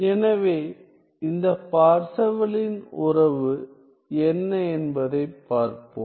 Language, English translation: Tamil, So, let us see what is this Parseval’s relation